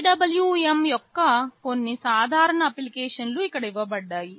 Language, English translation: Telugu, Some typical applications of PWM are listed here